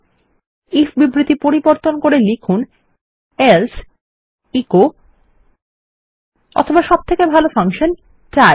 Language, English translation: Bengali, Lets edit our if statement and say else echo or instead the best function is die